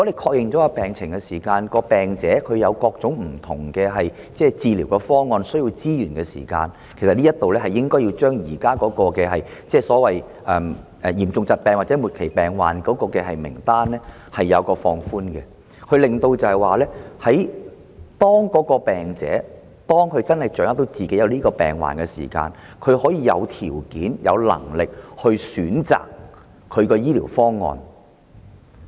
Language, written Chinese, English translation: Cantonese, 確認病情後，如果病人有各種不同的治療方案，需要資源——這方面，我認為應該將現時嚴重疾病/末期病症的名單放寬——當病人掌握到自己的病況時，若他能動用強積金權益，便會有條件、有能力選擇自己的治療方案。, After diagnosis if a patient considers different treatment options and needs resources In this regard I support the proposal of adjusting the definitions carried in the current list of serious diseasesterminal illnesses . When the patient has gained an understanding of his health condition and if he is allowed to withdraw his MPF benefits he can have the necessary resources to determine his treatment options